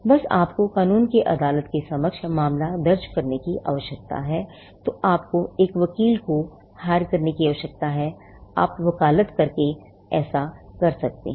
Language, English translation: Hindi, Just how, if you need to file a case before a court of law, you need to engage an advocate, you do that by filing a vakalat